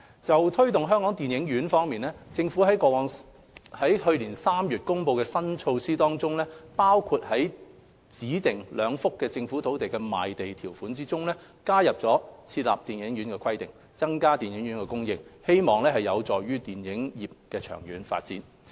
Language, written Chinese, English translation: Cantonese, 就推動香港電影院方面，政府於去年3月公布的新措施當中，包括在指定兩幅政府土地的賣地條款中，加入設立電影院的規定，增加電影院的供應，希望有助電影業的長遠發展。, In respect of local cinemas the Government announced in March 2017 new measures to facilitate cinema development in Hong Kong including incorporation of a requirement to include cinema in the land sale conditions of two designated Government land sale sites to increase the supply of cinemas with a view to helping the long - term development of the film industry